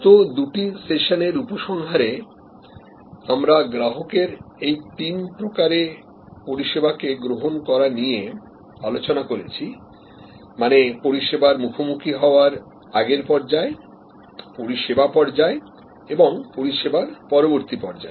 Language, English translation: Bengali, So, in summary in the last two sessions, we have looked at these three stages of service consumption by the consumer, pre purchase stage, service encounter stage and post encounter stage